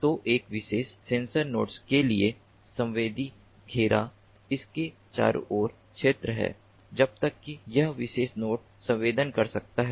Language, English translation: Hindi, so for a particular sensor node, the sensing radius is the sphere around it till which this particular node, this particular node can sense